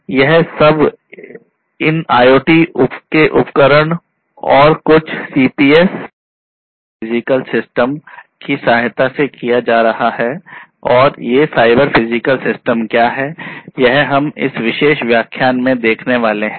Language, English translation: Hindi, These are going to be done with the help of these IoT devices and something called CPS Cyber Physical Systems and these Cyber Physical Systems is what we are going to go through in this particular lecture